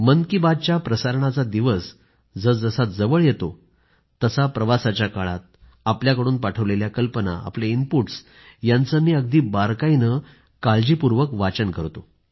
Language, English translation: Marathi, Andas the episode of Mann Ki Baat draws closer, I read ideas and inputs sent by you very minutely while travelling